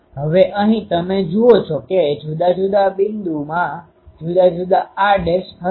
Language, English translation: Gujarati, Now, here you see different points will have different r dash